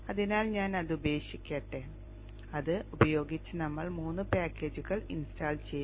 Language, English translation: Malayalam, So let me quit that and with this we have installed three packages